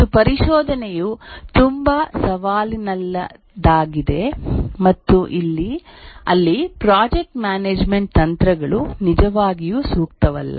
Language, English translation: Kannada, And also the exploration is too challenging and there the project management techniques are not really suitable